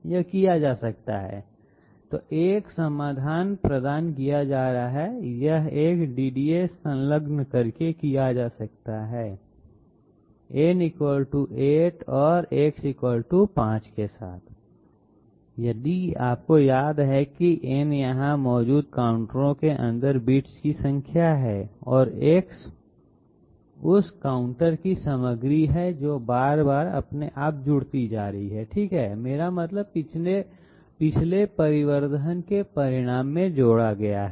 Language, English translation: Hindi, This can be done by so a solution is being provided, this can be done by attaching a DDA has shown with n = 8 and X = 5, if you remember n is the number of bits inside the counters present here and X is the content of that counter, which is getting added to itself again and again okay, I mean added to the result of previous additions